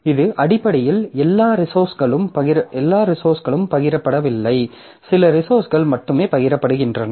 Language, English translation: Tamil, So, this is basically that all resources are not shared, only some of the resources are shared